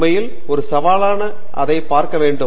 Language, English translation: Tamil, Actually, one should look at it as a challenge